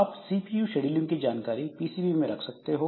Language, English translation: Hindi, So, we can keep this CPU scheduling information into the PCB